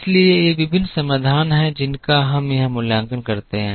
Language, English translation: Hindi, So, these are the various solutions which we evaluate here